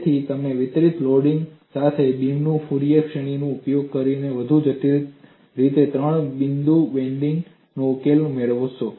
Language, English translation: Gujarati, So, you will find solution to three point bending is done in a much more complex fashion using Fourier series than a beam with a distributed loading